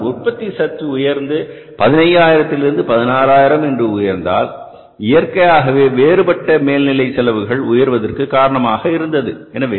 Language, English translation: Tamil, Because if your production is increasing from 15,000 to 16,000, naturally your variable overhead cost will go up